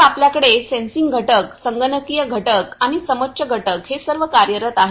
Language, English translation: Marathi, So, we have the sensing component, the computing component and the contour component all working hand in hand